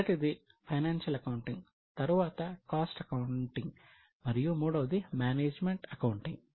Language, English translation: Telugu, The first one is financial accounting, then there is cost accounting and there is management accounting